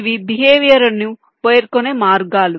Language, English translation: Telugu, these are ways to specify behavior